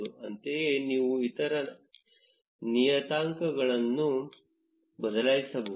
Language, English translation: Kannada, Similarly, you can change the other parameters